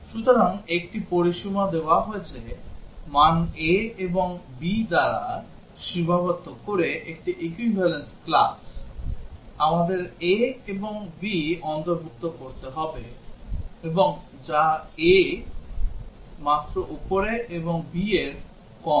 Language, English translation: Bengali, So, given a range equivalence class specified as a range bounded by values a and b, we would have to include a and b, and also the one which is just above a and just below b